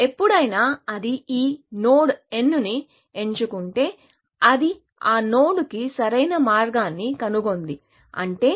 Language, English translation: Telugu, Whenever, it picks this node n, it has found optimal path to that node, which means g of n is equal to g star of n